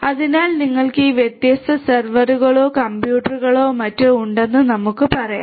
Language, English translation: Malayalam, So, let us say that you have these different servers or computers or whatever